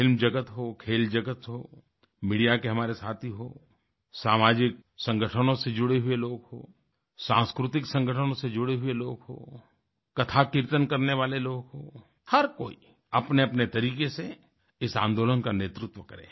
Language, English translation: Hindi, Whether it be from the world of films, sports, our friends in the media, people belonging to social organizations, people associated with cultural organizations or people involved in conducting devotional congregations such as Katha Kirtan, everyone should lead this movement in their own fashion